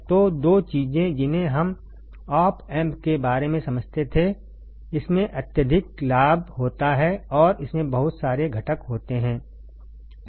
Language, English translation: Hindi, So, two things we understood about op amp, it has extremely high gain and it has lot of components